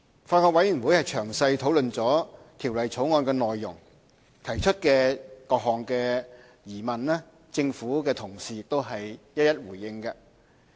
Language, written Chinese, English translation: Cantonese, 法案委員會詳細討論《條例草案》的內容，提出的各項疑問，政府同事都已一一回應。, The Bills Committee has made detailed discussion and raised various questions on the Bill and government officials have also responded to each of the questions